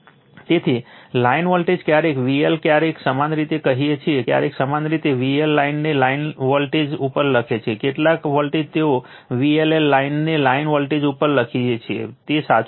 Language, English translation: Gujarati, So, line voltages sometimes V L sometimes you call sometimes you write V L line to line voltage some volt they may write V LL line to line voltage it is correct right